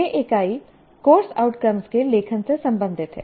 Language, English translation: Hindi, This unit is related to writing course outcomes